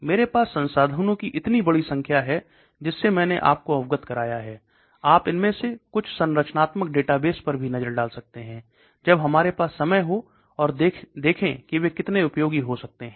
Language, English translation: Hindi, So large number of resources I have introduced it to you, you can play around look at some of these structural databases as well when we have time , and see how useful they can be okay